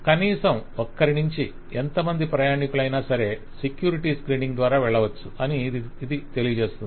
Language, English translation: Telugu, So it says that any number of passengers, at least one passenger has to be there, but any number of passengers can go through security screening